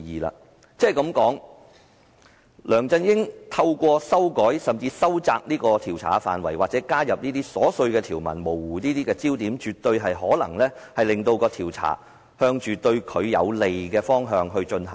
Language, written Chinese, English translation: Cantonese, 梁振英想透過修改，修窄調查範圍或加入瑣碎條文以模糊焦點，絕對有可能令調查朝着對他有利的方向進行。, Through the amendments LEUNG Chun - ying intends to narrow the scope of inquiry or blur the focus by adding some trivial provisions which definitely has the possibility of diverting the inquiry to a direction favourable to him